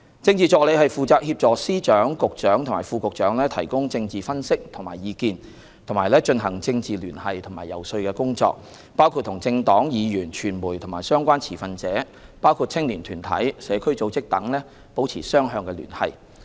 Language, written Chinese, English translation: Cantonese, 政治助理負責協助司長、局長和副局長提供政治分析和意見，以及進行政治聯繫和遊說工作，包括與政黨、議員、傳媒和相關持份者，包括青年團體、社區組織等，保持雙向聯繫。, Political Assistants are responsible for providing political analyses and advice for Secretaries of Department Directors of Bureau and Deputy Directors of Bureau and conducting political liaison as well as lobbying work . This includes maintaining communication with political parties Legislative Council Members the media and relevant stakeholders such as youth groups and community organizations